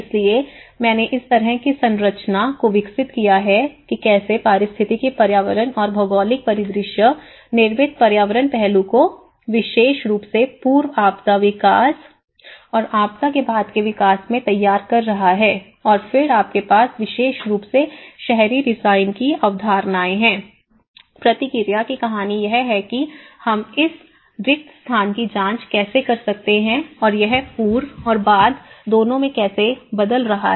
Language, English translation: Hindi, So, I developed this kind of framework of oneness, how the ecological environment and the geographical landscape is framing the built environment aspect especially, in the pre disaster development and the post disaster development and then you have the concepts of urban design especially, the theory of respond how we can check this spaces how it is changing in both the pre and post